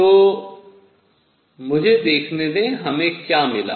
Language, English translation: Hindi, So, let me see; what we got